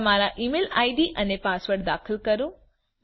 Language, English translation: Gujarati, Enter your email id and password